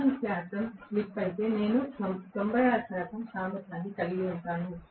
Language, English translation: Telugu, If 4 percent is the slip, I am going to have the efficiency to be 96 percent